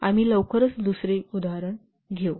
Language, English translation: Marathi, We'll quickly take another example